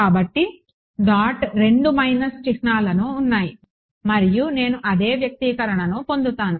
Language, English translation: Telugu, So, dot right 2 minus signs and I get the same expression